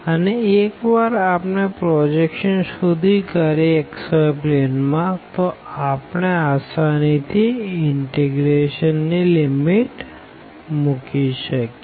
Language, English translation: Gujarati, And, then once we have figured out this projection on the xy plane then we can easily put the limits of the integration